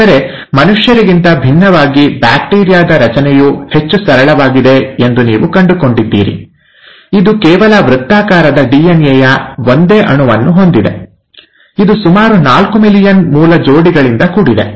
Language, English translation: Kannada, But, unlike humans, and I’ll take the examples of humans for simplicity, you find that the bacterial structure is much more simpler, it just has a single molecule of circular DNA, which is made up of about four million base pairs